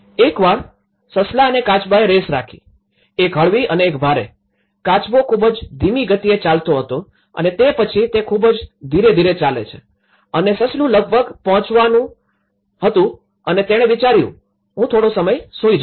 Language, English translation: Gujarati, Once the hare and tortoise kept a race; a mild race and hard tortoise was walking down very slowly and then it has just walking very slowly and the hare almost about to reach and she thought okay, I will sleep for some time